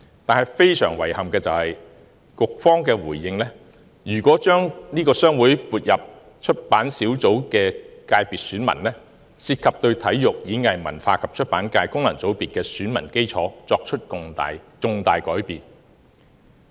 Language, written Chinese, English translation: Cantonese, 但是，非常遺憾的是，局方回應表示，如果將商會成員撥入出版小組的選民界別，涉及對體育、演藝、文化及出版界功能界別的選民基礎作出重大改變。, However very unfortunately the Policy Bureau responded that if HKPA was included as an elector of the Publication subsector it would create a significant change to the electoral bases of the Sports Performing Arts Culture and Publication FC